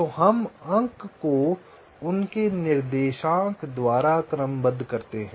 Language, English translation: Hindi, so we sort the points by their x coordinates